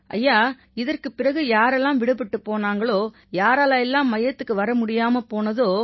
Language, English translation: Tamil, Sir, after that, people who were left out…those who could not make it to the centre…